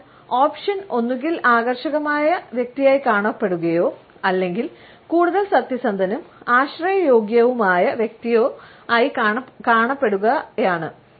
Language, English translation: Malayalam, So, the option is either to come across as an attractive person or is a more honest and dependable person